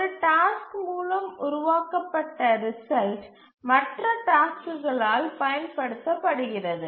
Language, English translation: Tamil, The result produced by one task used by other tasks